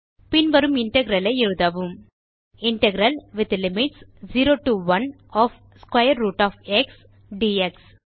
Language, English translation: Tamil, Write the following integral: Integral with limits 0 to 1 of {square root of x } dx